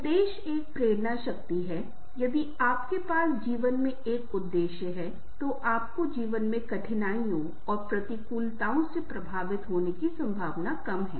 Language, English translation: Hindi, if you have a purpose in life, you are less likely to be effected y the difficulties and adversities in life